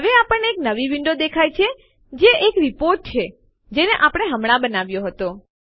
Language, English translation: Gujarati, Now we see a new window and this is the Report that we built just now